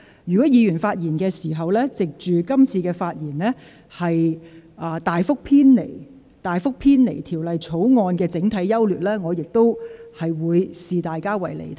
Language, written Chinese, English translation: Cantonese, 如果議員藉今次機會，在發言時大幅偏離有關《條例草案》的整體優劣，我亦會視之為離題。, If Members make use of this opportunity to greatly deviate from what should be the overall pros and cons of the Bill when they speak I will also regard them as digressing from the subject